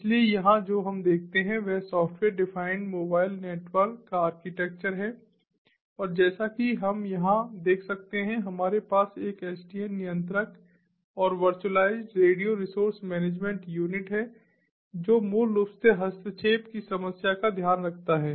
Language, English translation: Hindi, so here what we see is the architecture of the software defined mobile network and, as we can see over here, we have an sdn controller and the virtualized radio resource management unit which basically takes care of interference with ah, the problem of interference